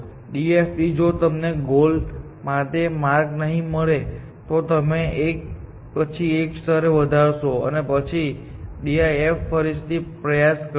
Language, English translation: Gujarati, The DFID, if you did not find a path to the goal, you would increment the level by one and then, try the DFS again